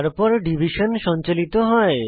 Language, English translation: Bengali, Then division is performed